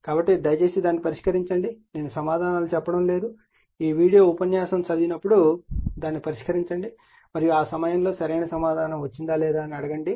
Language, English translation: Telugu, So, you please solve it answers I am not telling you solve it, when you read this video lecture you solve it and you are what you call and at the time you ask the answer whether you have got the correct answer or not will